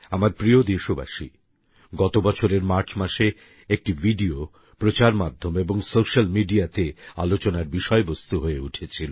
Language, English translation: Bengali, My dear countrymen, in March last year, a video had become the centre of attention in the media and the social media